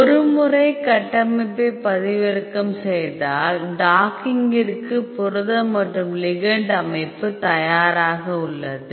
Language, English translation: Tamil, So, once you downloaded the structure, protein and ligand structure is ready for the docking